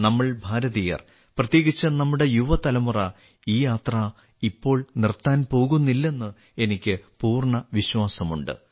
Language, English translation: Malayalam, I have full faith that we Indians and especially our young generation are not going to stop now